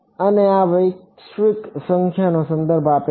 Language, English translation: Gujarati, And this refers to the global number